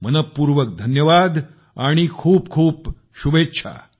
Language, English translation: Marathi, Many many thanks, many many good wishes